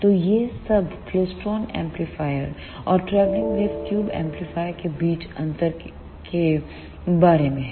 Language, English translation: Hindi, So, this is all about the ah differences between klystron amplifier and travelling wave tube ah amplifiers